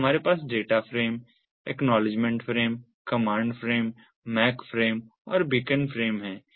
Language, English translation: Hindi, so we have the data frame, the acknowledgement frame, the command frame, the mac frame and the beacon frame